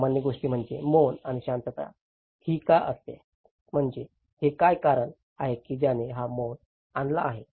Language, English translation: Marathi, The common thing is the silence and why the silence is all about; I mean what are the factors that brought this silence